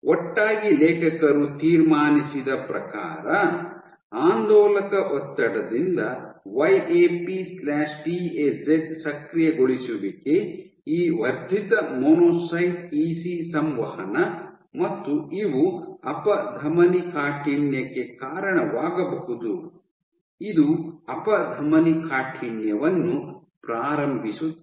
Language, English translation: Kannada, Together what the authors concluded was that YAP/TAZ activation by oscillatory stress, this enhance monocyte EC interaction and these can contribute to atherogenesis this can initiate atherosclerosis